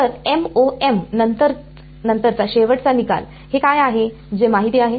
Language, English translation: Marathi, So, end result after MoM, what is it that is known